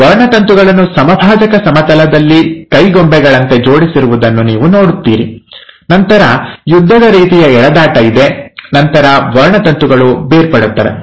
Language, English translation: Kannada, Like it will like you have these chromosomes arranged like puppets on the equatorial plane, and then there is a tug of war, and then the chromosomes get separated